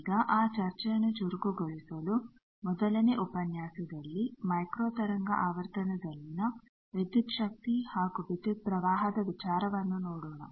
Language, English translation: Kannada, Now to kick start that discussion, the first lecture will see voltage and current concept at microwave frequency, now at lower frequency than microwave frequency